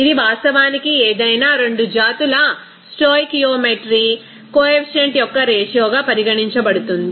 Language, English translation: Telugu, This will be actually regarded as the ratio of stoichiometry coefficient of any 2 species